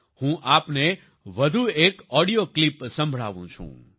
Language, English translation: Gujarati, Let me play to you one more audio clip